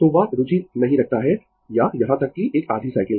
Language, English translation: Hindi, So, that is not interested or even a half cycle